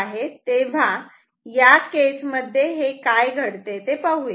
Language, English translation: Marathi, Now, let us see what happens here